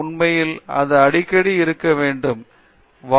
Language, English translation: Tamil, So, in fact, it can be as often as it can be